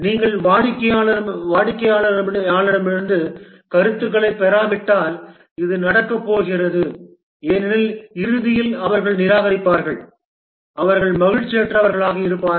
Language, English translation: Tamil, If you don't get feedback from the customer, this is trouble going to happen because at the end they will reject, they will be unhappy